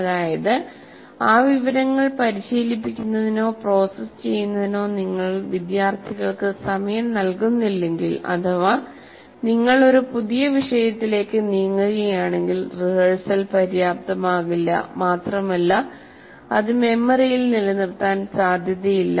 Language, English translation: Malayalam, That is, if you don't give time to the students to practice or process that information and you move on to a new topic, obviously the rehearsal is not adequate and it is unlikely to be retained in the memory